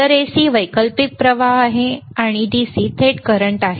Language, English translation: Marathi, So, AC is alternating current and DC is direct current